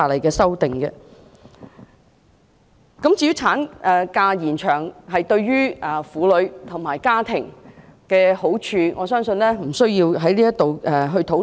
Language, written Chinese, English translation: Cantonese, 至於延長產假對婦女及家庭的好處，我相信我們也不需在此討論。, As for the benefits of an extended maternity leave for women and families I believe there is no need for us to have a discussion here also